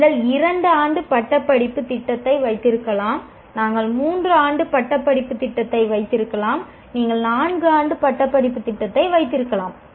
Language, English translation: Tamil, You can have a two year degree program, you can have a three year degree program, you can have a four year degree program